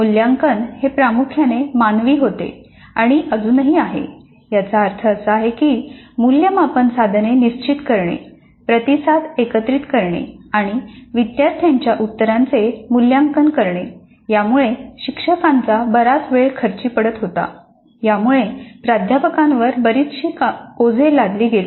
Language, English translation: Marathi, Evaluation was and still is dominantly manual, which means that setting the assessment instruments, collecting the responses and evaluating these responses of the students consumed considerable amount of faculty time